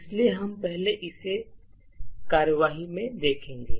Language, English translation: Hindi, So, we will first see this in action